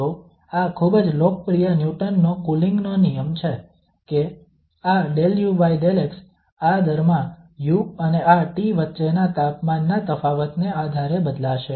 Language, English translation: Gujarati, So this is the very popular Newton's Law of Cooling that this del u over del x, this rate of change will be varying depending on the difference of the temperature between u and this T f